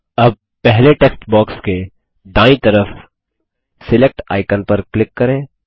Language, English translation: Hindi, Let us click on the Select icon on the right next to the first text box